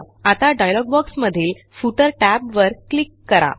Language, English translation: Marathi, Now click on the Footer tab in the dialog box